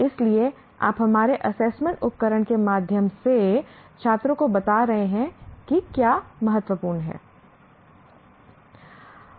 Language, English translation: Hindi, So our assessment tools tell the student what we consider to be important